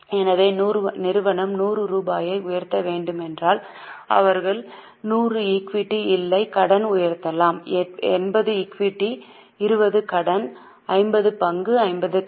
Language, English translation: Tamil, So, if company has to raise 100 rupees, they can either raise 100 of equity no debt, maybe 80 of equity 20 debt, 50 of equity 50 debt